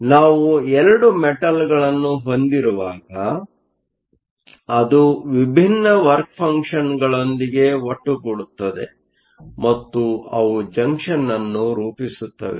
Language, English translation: Kannada, So, when we have 2 metals, that come together with different work functions and they form a junction